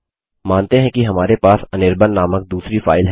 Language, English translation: Hindi, Say we have another file named anirban